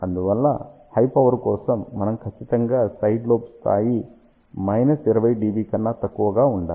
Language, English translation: Telugu, Hence for high power we definitely want side lobe level should be much less than minus 20 dB